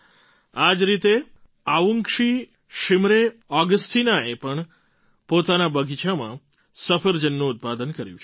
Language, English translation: Gujarati, Similarly, Avungshee Shimre Augasteena too has grown apples in her orchard